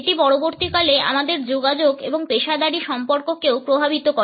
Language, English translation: Bengali, It also affects our communication and professional relationships too in the long run